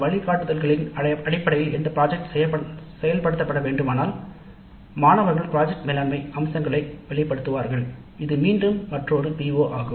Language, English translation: Tamil, What are guidelines that the institute has provided if the project is to be implemented based on those guidelines then the students will get exposure to project management aspects also, which is again another PO